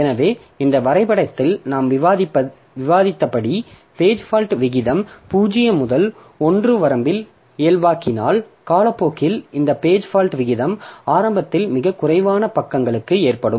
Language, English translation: Tamil, So, in this diagram as we have discussed, so page fault rate if we plot and if you normalize it in the range of 0 to 1, then over the time this page fault rate increases from initially there is very few pages have been loaded so this page fault rate increases